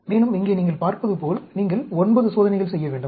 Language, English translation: Tamil, And, here, you can see, you need to do 9 experiments